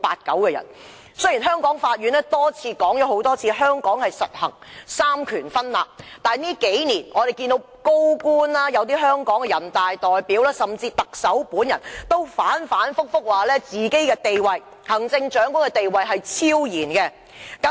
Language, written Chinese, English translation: Cantonese, 雖然香港法院多次指出，香港實行三權分立，但這數年來，多位高官、香港人大代表，甚至特首本人更反覆說行政長官地位超然。, Although the court in Hong Kong has repeatedly stated that separation of the three powers is implemented in Hong Kong over the past few years many senior officials and Hong Kong Deputies to the National Peoples Congress and even the Chief Executive himself have said time and again that the Chief Executive has a transcendent status